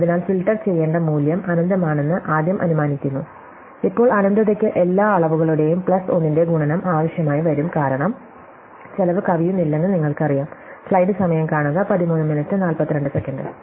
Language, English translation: Malayalam, So, we initially assume that the value to be filtered is infinity, now infinity could just need the product of all the dimensions plus 1, because you know that’s not going to, the cost is not going to exceed that